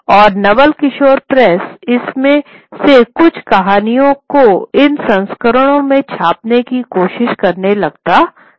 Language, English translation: Hindi, And the Naval Kishore Press starts trying to print some of these stories, these volumes